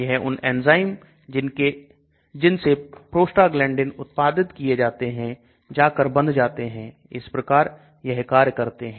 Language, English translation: Hindi, They go and bind to some enzymes which produce prostaglandins ; that is how they act